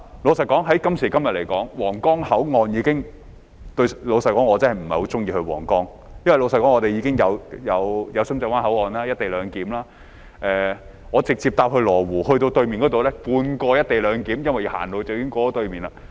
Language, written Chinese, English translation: Cantonese, 老實說，在今時今日，皇崗口岸已......老實說，我真的不太喜歡前往皇崗，因為我們的深圳灣口岸已有"一地兩檢"；我直接乘車往羅湖過關，那裏有半個"一地兩檢"，因為走路已可以過到對面去。, To be honest nowadays the Huanggang Port has To be honest I do not really enjoy going to the Huanggang Port as co - location arrangement is already in place at our Shenzhen Bay Port . If I take a train directly to Lo Wu to cross the boundary there is half of a co - location arrangement as I can walk across to the other side